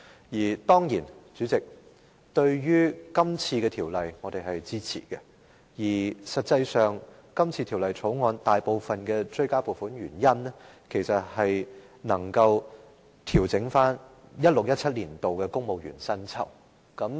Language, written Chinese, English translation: Cantonese, 主席，我們當然會支持今天的《條例草案》，事實上，《條例草案》中提出的大部分追加撥款，其實也是為調整 2016-2017 年度的公務員薪酬。, President we will definitely support the Bill today . In fact most of the supplementary provisions sought in the Bill are for the pay adjustments for civil servants for 2016 - 2017